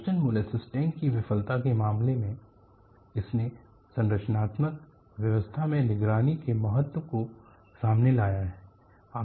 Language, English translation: Hindi, In the case of Boston molasses tank failure, it has brought out the importance of structural health monitory